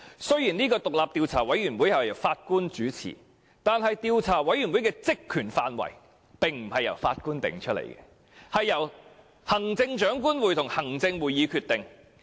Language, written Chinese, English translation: Cantonese, 雖然這個獨立調查委員會由法官主持，但其職權範圍並不是由法官決定，而是由行政長官會同行政會議決定。, Although this independent Commission of Inquiry is to be chaired by a judge its terms of reference will be determined not by the judge but by the Chief Executive in Council